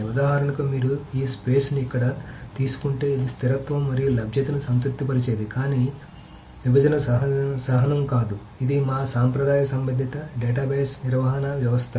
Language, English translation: Telugu, So for example, if you take this space here which is that something which satisfies consistency and availability but not partition tolerance, this is our traditional relational database management systems